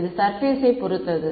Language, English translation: Tamil, It depends on the surface